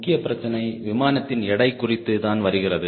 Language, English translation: Tamil, main issue comes on the weight of the airplane, say now